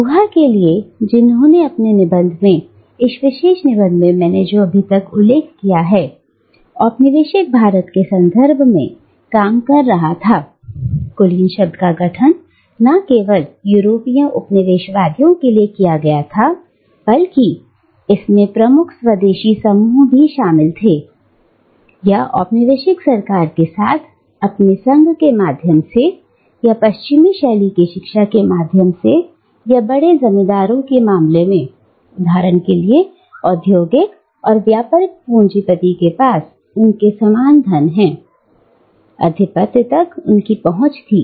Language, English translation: Hindi, And, for Guha, who in his essay, in this particular essay that I have just mentioned, was working for within the context of colonial India, the term elite was constituted not only of the European colonisers, but it also included dominant indigenous groups who had access to hegemony, either through their association with the colonial government, or through their western style education, or in case of big landowners, for instance, or industrial and mercantile bourgeoisie, through their wealth